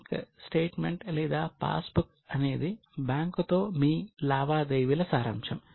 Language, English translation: Telugu, Bank statement or a passbook is a summary of your transactions with the bank